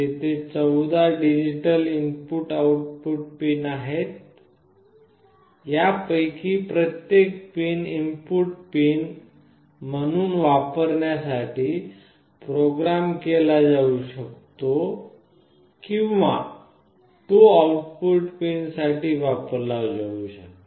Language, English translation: Marathi, There are 14 digital input output pins, each of these pins can be programmed to use as an input pin or it can be used for output pin